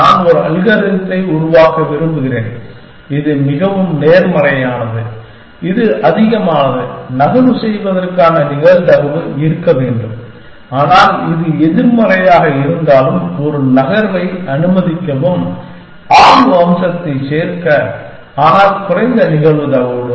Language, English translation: Tamil, I want to build an algorithm, which will say that the more positive, this is the greater should be the probability of making the move, but allow a move even if this is negative, just to include the exploration feature, but with lesser probability